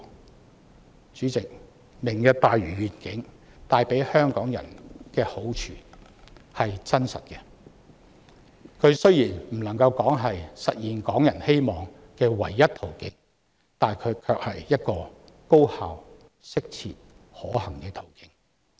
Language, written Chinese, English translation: Cantonese, 代理主席，"明日大嶼願景"帶給香港人真確的好處，雖然不能說是實現港人希望的唯一途徑，卻是一個高效、適切、可行的途徑。, Deputy President the Lantau Tomorrow Vision will bring Hongkongers bona fide advantages . It cannot be regarded as the only means to realize the hopes of Hongkongers but it is a highly effective appropriate and practicable means